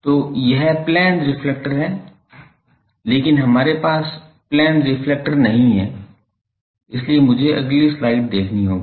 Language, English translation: Hindi, So, this is plane reflector, but we do not have a plane reflector so, I will have to see some next slide